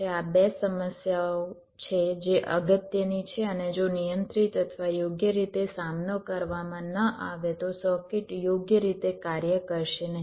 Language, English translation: Gujarati, ok, this are the two problems which are important and if not handled or tackled properly, the circuit might not work in a proper way